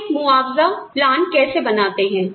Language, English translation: Hindi, How do we develop a compensation plan